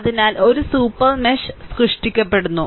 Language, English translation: Malayalam, So, a super mesh is created